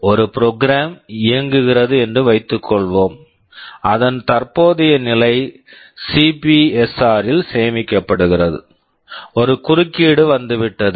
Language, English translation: Tamil, Suppose a program is running current status is stored in CPSR, there is an interrupt that has come